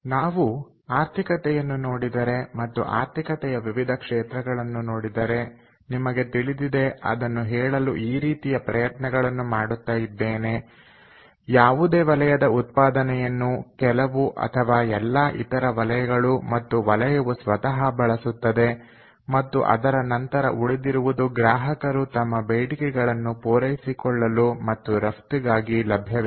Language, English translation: Kannada, so this kind of tries to tell us that, you know, if we look at the economy and look at the different sectors of economy, the output of any sector is used up by all, by some or all of the other sectors, as well as by the sector itself, and then whatever is left after that is available for use by the consumers to meet their demands and also, lets say, for export